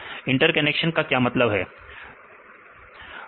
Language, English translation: Hindi, What are the interactions